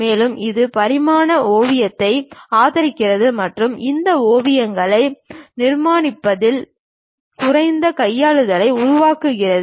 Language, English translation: Tamil, And also, it supports dimensional sketching and creates less handling in terms of constructing these sketches